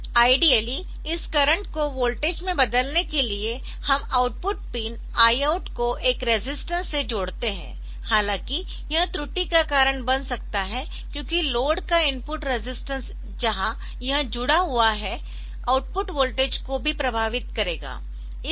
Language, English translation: Hindi, So, ideally we connect the output pin I out to a resistor and to convert this current to voltage; however, this can cause inaccuracy since the input resistance of the load where it is connected will also affect the output voltage, the point I want to mention is